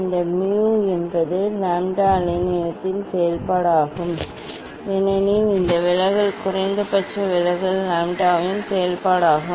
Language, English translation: Tamil, this mu is a function of lambda wavelength ok, because this deviation minimum deviation is a function of lambda